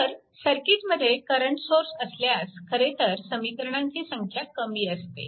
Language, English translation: Marathi, So, presence of current sources in the circuit, it reduces actually the number of equations